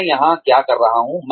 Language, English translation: Hindi, What am I here to do